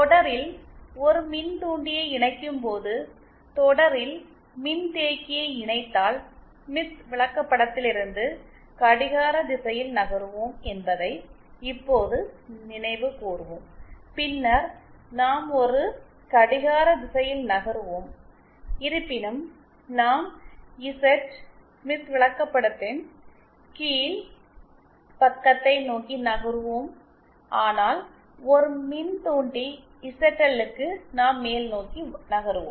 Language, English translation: Tamil, Now we recall now recall that when we connect an inductor in series, then we will be moving in a clockwise direction from on the Smith chart if we connect capacitance in series, then also we will be moving in a clockwise direction however we will be moving towards the bottom side of the Z Smith chart, whereas for an inductive zl, we will be moving upwards